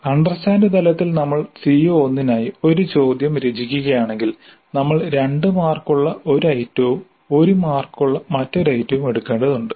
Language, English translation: Malayalam, So if we are composing a question for CO1 at the understand level we need to pick up one item worth two marks and another item worth one mark